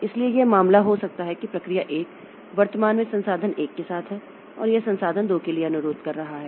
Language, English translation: Hindi, So it may be the case that process 1 is currently having the resource with it and it is requesting for resource 2